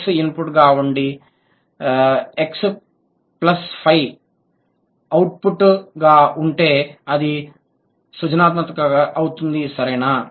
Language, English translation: Telugu, And if x is input, x plus 5 is output, if this is output, then this is creativity